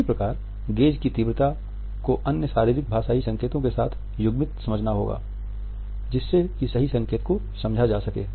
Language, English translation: Hindi, So, intensity of gaze has to be understood coupled with other body linguistic signs to understand the true import of a